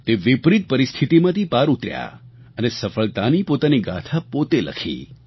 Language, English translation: Gujarati, He overcame the adverse situation and scripted his own success story